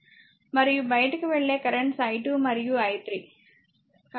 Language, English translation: Telugu, And outgoing currents are i 2 and i 3